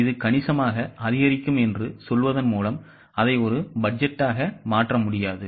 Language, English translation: Tamil, Just by saying it will increase substantially does not make it a budget